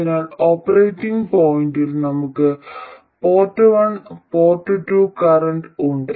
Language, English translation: Malayalam, So, at the operating point we have the port one and port two currents